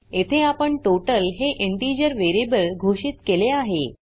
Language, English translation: Marathi, Here we have declared an integer variable total